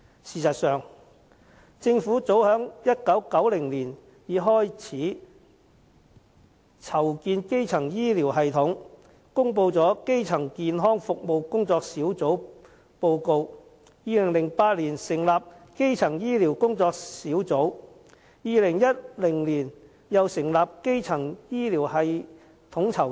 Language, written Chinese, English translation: Cantonese, 事實上，政府早於1990年已開始籌建基層醫療系統，公布了《基層健康服務工作小組報告書》，2008 年成立基層醫療工作小組 ，2010 年又成立基層醫療統籌處。, As a matter of fact the Government began to prepare for building up a primary health care system in as early as 1990 with the publication of the Report of the Working Party on Primary Health Care . Subsequently the Working Group on Primary Care was established in 2008 and the Primary Care Office in 2010